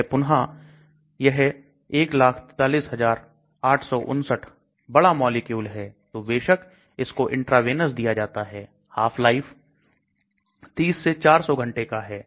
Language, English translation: Hindi, It is again, it is 143859 large molecules so obviously it is given intravenous half life is 30 to 400 hours